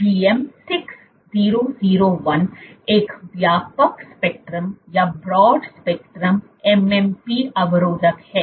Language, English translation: Hindi, So, GM 6001 is a broad spectrum MMP inhibitor